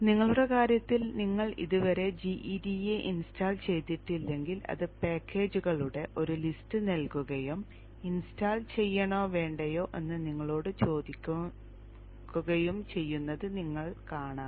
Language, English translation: Malayalam, In your case, if you have not at installed GEDA, you will see that it will give a list of packages and ask you whether to install or not you say yes and it will get installed